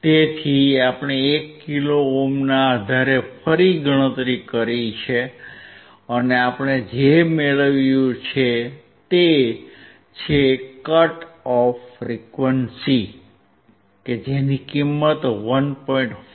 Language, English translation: Gujarati, So, we have recalculated based on 1 kilo ohm, and what we found is the cut off frequency, 1